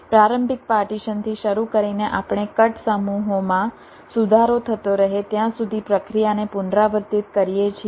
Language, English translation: Gujarati, starting with a initial partition, we repeat iteratively the process till the cutsets keep improving